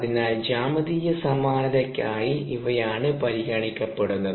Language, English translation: Malayalam, so for geometric similarity, these are the ones that are considered